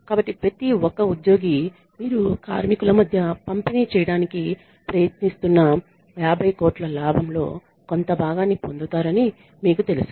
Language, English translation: Telugu, So, maybe you know every single employee gets some fraction of that 50 crore profit that you are trying to distribute among the workers